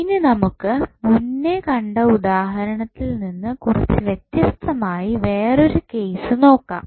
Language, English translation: Malayalam, Now, let us see another case which is different from our previous example